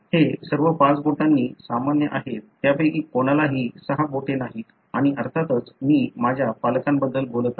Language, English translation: Marathi, None of them have; they are all normal with five fingers, and of course I am talking about my parents